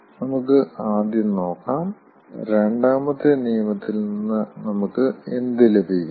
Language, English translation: Malayalam, let us first see what do we get from second law